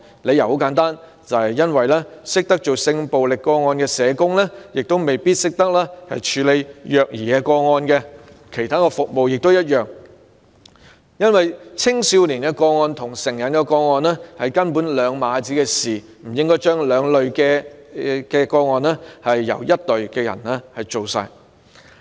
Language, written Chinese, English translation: Cantonese, 理由很簡單，懂得處理性暴力個案的社工未必懂得處理虐兒個案，其他服務亦然，因為青少年個案跟成人個案完全是兩碼子事，不應把兩類個案交由同一隊人員處理。, The reason is very simple Social workers who are skilful in handling sexual violence cases may not necessarily be good at handling child abuse cases and the same also applies to the personnel providing other services . Given that juvenile cases are totally different from adult cases they should not be handled by the same group of professional personnel